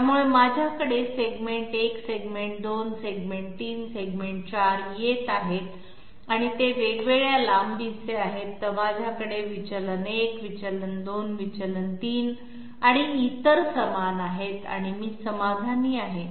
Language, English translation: Marathi, So I have segment 1, segment 2, segment 3, segment 4 coming up and they are of different lengths, while I have deviation 1, deviation 2, deviation 3, et cetera equal to each other and I am satisfied